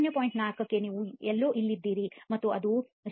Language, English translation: Kannada, 4 you are somewhere here that is 0